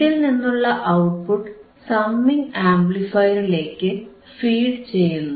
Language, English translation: Malayalam, And the output of this is fed to the summing amplifier